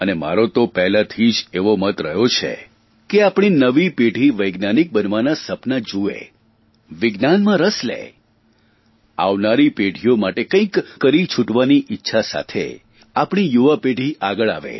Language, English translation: Gujarati, I have believed it right from the beginning that the new generation should nurture the dream of becoming scientists, should have keen interest in Science, and our youngsters should step forward with the zeal to do something for the coming generations